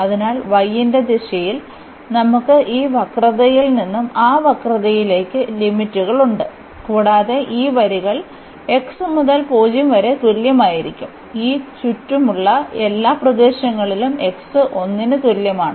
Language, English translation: Malayalam, So, in the direction of y we have the limits from this curve to that curve, and these lines will run from x is equal to 0 to x is equal to 1 to go through all this enclosed area